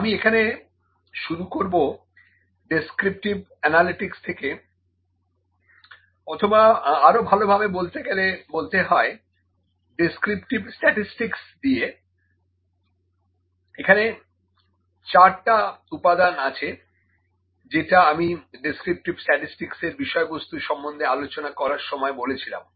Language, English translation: Bengali, I start from descriptive analytics or to be more focused descriptive statistics here only, these are the 4 components that are just discussed in the contents of descriptive statistics